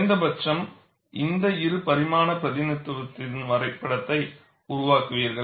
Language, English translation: Tamil, At least, you make a neat sketch of this two dimensional representation